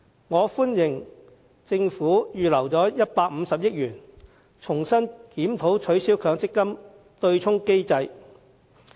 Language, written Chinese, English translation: Cantonese, 我歡迎政府預留150億元，重新檢討取消強積金對沖機制。, I welcome the Governments decision to earmark 15 billion for a fresh review of the abolition of the MPF offsetting mechanism